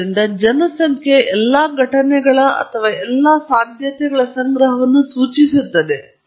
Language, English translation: Kannada, So, population refers to the collection of all events or possibilities